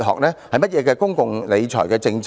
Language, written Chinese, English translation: Cantonese, 甚麼的公共理財政策？, What kind of public monetary management strategy is that?